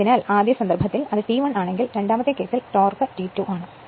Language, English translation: Malayalam, So, first case if it is T 1 second case torque is T 2